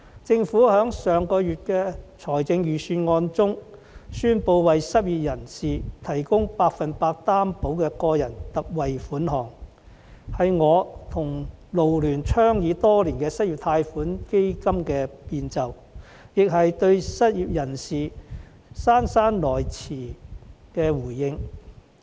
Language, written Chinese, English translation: Cantonese, 政府在上月公布的財政預算案中，宣布為失業人士推出百分百擔保個人特惠貸款計劃，這是我與港九勞工社團聯會倡議多年的失業貸款基金的變奏，也是對失業人士姍姍來遲的回應。, In the Budget delivered last month the Government announced the introduction of the Special 100 % Loan Guarantee for Individuals Scheme for the unemployed . This is a variation of the unemployment loan fund advocated by the Federation of Hong Kong and Kowloon Labour Unions FLU and me for years as well as a belated response to the unemployed